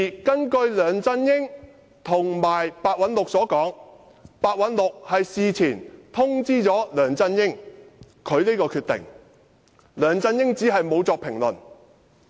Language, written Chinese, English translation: Cantonese, 據梁振英及白韞六所說，白韞六事前已通知梁振英他的決定，只是梁振英沒有作出評論。, As mentioned by LEUNG Chun - ying and Simon PEH Simon PEH had notified LEUNG Chun - ying of his decision in advance but LEUNG Chun - ying had no comments